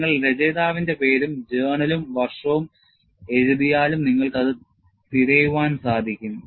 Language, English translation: Malayalam, You know, even if you write the name of the author and the journal and the year, you should be in a position to search it